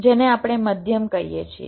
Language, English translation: Gujarati, thats what we call as medium